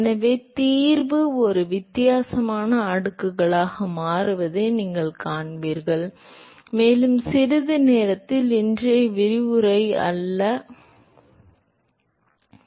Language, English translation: Tamil, And therefore, you will see there the solution falls out to be a different exponent, and we will see that in a short while, may be not todays lecture